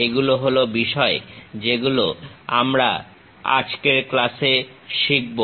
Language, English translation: Bengali, These are the things what we will learn in today's class